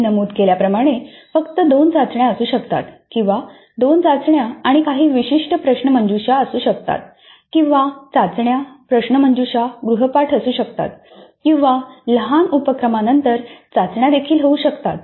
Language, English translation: Marathi, As I mentioned there can be only two tests or there can be two tests and certain quizzes or there can be tests, quizzes, assignments or there can be tests, then a mini project